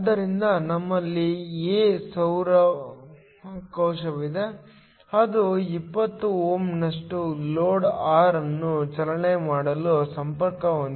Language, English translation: Kannada, So, we have a solar cell of area A is given, and is connected to drive a load R of 20 Ω